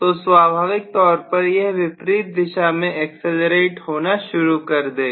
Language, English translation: Hindi, So obviously this will also start accelerating in the reverse direction